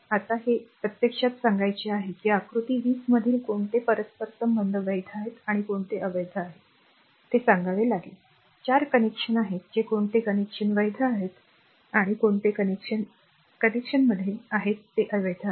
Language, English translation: Marathi, Next is another example now this is actually state which interconnects in figure 20 are valid and which are invalid you have to tell, there are 4 connections that which connections are valid and which connections are in connections are invalid